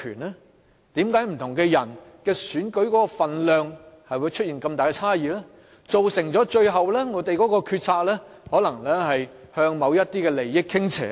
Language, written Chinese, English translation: Cantonese, 為何不同的人選舉的分量會出現這麼大的差異，最終造成我們的決策可能向某些利益團體傾斜呢？, Why that there are such big discrepancies among the weights carried by different people in elections that eventually lead to tilted decision - making in favour of certain interest groups?